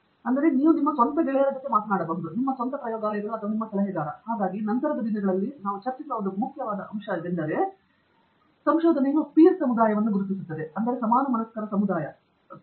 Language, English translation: Kannada, So, your own friends first you can talk, your own lab mates or your advisor; and so, there is a one important point, which we will discuss the later on, is also to recognize a peer community, so we will come to that little later in our talk